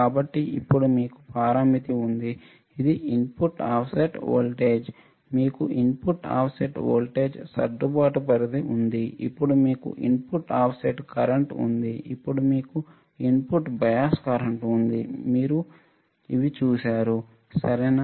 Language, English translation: Telugu, So, now, you have parameter, which is input offset voltage, you have input offset voltage adjustment range, then you have input offset current, then you have input bias current, we have seen this right, we have also seen the problems using input offset current input bias current and input offset voltage right